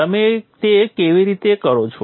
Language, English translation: Gujarati, So how is this done